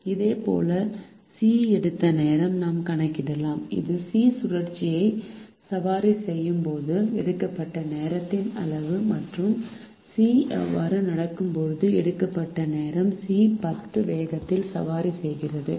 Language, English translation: Tamil, similarly, we can compute the time taken by c, which is the sum of the time taken when c is riding the cycle and the time taken when c is walking